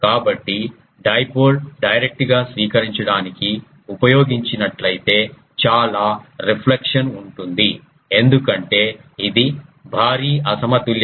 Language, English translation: Telugu, So, if dipole is directly used to receive there will be lot of reflection because it is a huge um mismatch